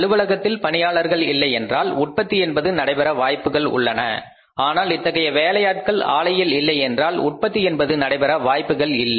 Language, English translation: Tamil, If the employee is not in the office the production is possible but if that worker is not there on the plant production is not possible